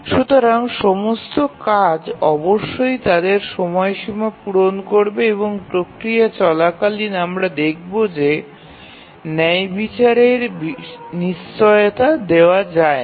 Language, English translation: Bengali, So, all the tasks must meet their deadlines and in the process we will see that fairness cannot be a guaranteed